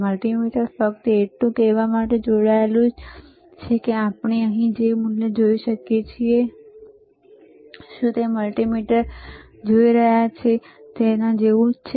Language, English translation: Gujarati, mMultimeter is connected to just to say that, whatever the value we are looking at hehere, is it similar to what we are looking at the multimeter